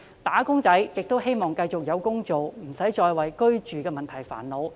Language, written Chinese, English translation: Cantonese, "打工仔"希望繼續有工做，不需要再為居住的問題煩惱。, Wage earners hope that there are still jobs for them so they do not need to bother about housing issues